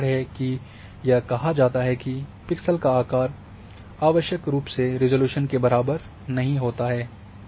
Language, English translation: Hindi, So, that is why it is said that the pixel size does not necessarily equate to resolution